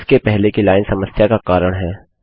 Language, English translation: Hindi, The line before it is causing a problem